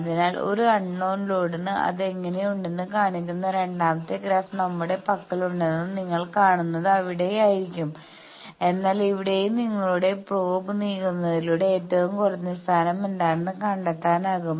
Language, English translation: Malayalam, So, it will be there that you see we have the second graph is showing that how it looks like for an unknown load, but here also you can find out by moving your probe that what is the minima position